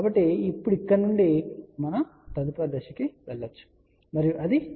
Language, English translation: Telugu, So, now from here, we can go to the next step and that is Z input